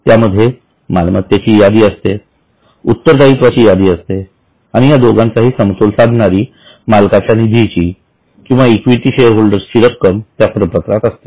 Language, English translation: Marathi, You have a list of assets, you have a list of liabilities and you also have a balancing figure as owners fund or equity shareholders money